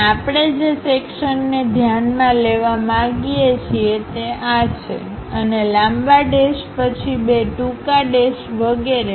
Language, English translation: Gujarati, And the section we would like to really consider is this one, and long dash followed by two short dashes and so on